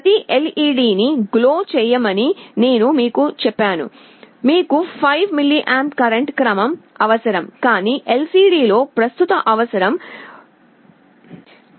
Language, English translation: Telugu, I told you to glow every LED, you need of the order of 5 mA of current, but in LCD the current requirement is of the order of microamperes